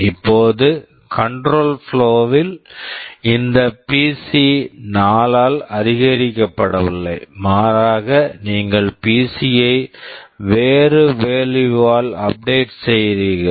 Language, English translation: Tamil, Now in control flow, this PC is not being incremented by 4, but rather you are updating PC with some other value